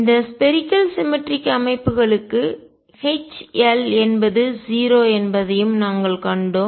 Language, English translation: Tamil, And we also seen that for this spherically symmetric systems H L is 0